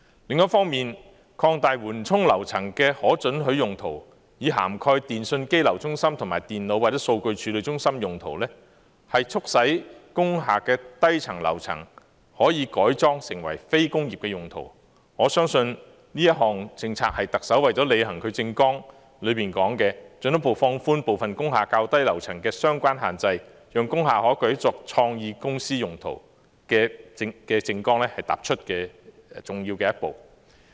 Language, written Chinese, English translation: Cantonese, 另一方面，擴大緩衝樓層的可准許用途，以涵蓋電訊機樓中心、電腦或數據處理中心用途，促使工廈的低層樓層可以改裝為非工業用途，我相信這項政策是特首為了履行其政綱所說的進一步放寬部分工廈較低樓層的相關限制，讓工廈可改作創意公司用途的政綱踏出重要的一步。, On the other hand regarding the proposed policy to widen the permissible uses of buffer floors to cover telecommunications exchange centres and computerdata processing centres so as to facilitate conversion of lower floors of industrial buildings into non - industrial uses I believe this is an important step forward taken by the Chief Executive to deliver on her manifesto pledge to further relax the limitations on lower floors of some industrial buildings so that those industrial buildings can be used by companies engaged in creative industries